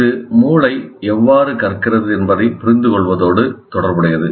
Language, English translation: Tamil, This is also related to understanding how brains learn